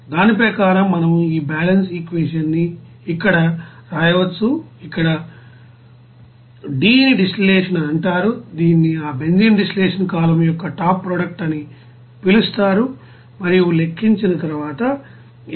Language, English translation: Telugu, So according to that, we can write this balance equation here, where D is called distillate that is called top product of that benzene distillation column and after calculation it is coming as 193